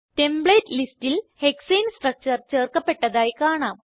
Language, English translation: Malayalam, Observe that Hexane structure is added to the Template list